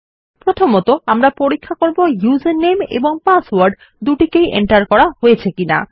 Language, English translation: Bengali, First of all, we will check whether both the user name and the password were entered